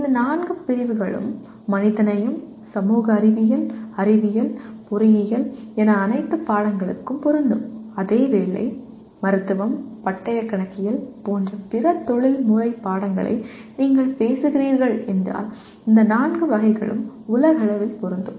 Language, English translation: Tamil, There are also while these four categories apply to all subjects whether it is humanities, social sciences, sciences, engineering call it the other professional subjects like medicine, chartered accountancy anything that you talk about, all these four categories are universally applicable